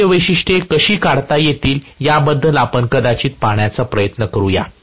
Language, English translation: Marathi, Let us try to probably look at how we are going to go about drawing the external characteristics